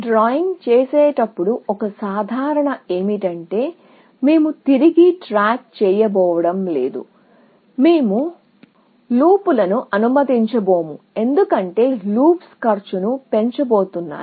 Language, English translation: Telugu, So, one simplifying assumption while drawing, we will make is, that we are not going to go back; we are not going to allow loops, because we know that loops are only going to increase the cost